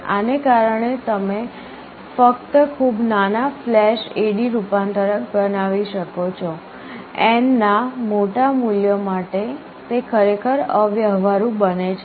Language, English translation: Gujarati, Because of this you can only build very small flash A/D converters, for larger values of n it becomes really impractical